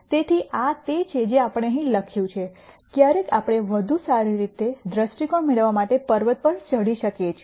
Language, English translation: Gujarati, So, that is what we have written here sometimes we might even climb the mountain to get better perspective